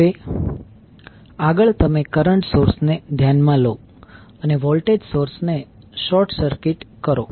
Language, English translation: Gujarati, Now next is you consider the current source and short circuit the voltage source